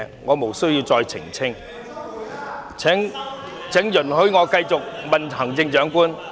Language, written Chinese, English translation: Cantonese, 我無須再次澄清，請容許我繼續向行政長官提問。, There is no need for me to further clarify . Please allow me to continue with my question to the Chief Executive